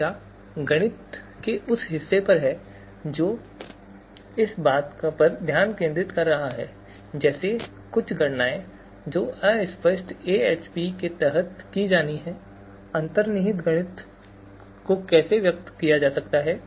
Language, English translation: Hindi, The discussion is on the mathematics part of it how the mathematics, how the certain computations that are to be performed under extent fuzzy AHP, how these you know mathematics, how these underlying mathematics is expressed